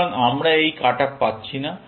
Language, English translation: Bengali, So, we do not get this cut off